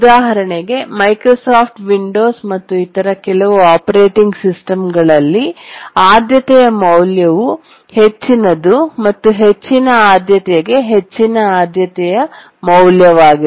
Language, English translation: Kannada, For example, in Microsoft Windows and some other operating systems, the priority value is the higher the priority, the higher is the priority value